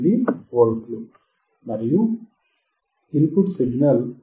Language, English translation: Telugu, 88V, and the input signal is 5